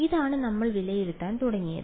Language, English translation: Malayalam, This is what we started evaluating